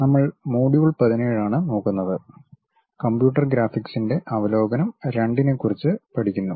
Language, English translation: Malayalam, We are covering module 17 and learning about Overview of Computer Graphics II